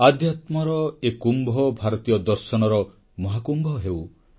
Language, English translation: Odia, May this Kumbh of Spirituality become Mahakumbh of Indian Philosophy